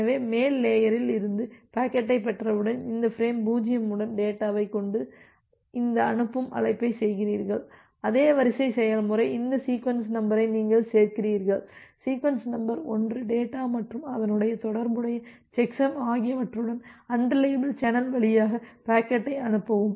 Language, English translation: Tamil, So, once you have received the packet from the upper layer, then you make this send call with the data with this frame 0 and the same process gets repeated that you append this sequence number; sequence number 1 along with the data and the corresponding checksum and then send the packet through the unreliable channel